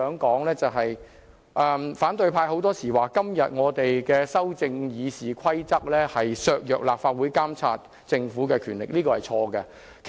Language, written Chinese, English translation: Cantonese, 主席，反對派經常說我們修改《議事規則》的建議會削弱立法會監察政府的權力，這是錯的。, President opposition Members often say that our proposals to amend RoP will weaken the Legislative Councils power to monitor the Government but this is wrong